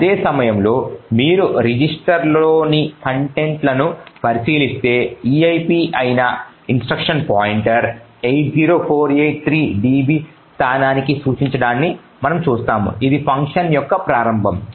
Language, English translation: Telugu, At the same time if you look at the contents of the registers, we see that the instruction pointer that is the eip is pointing to a location 80483db which is the start of this particular function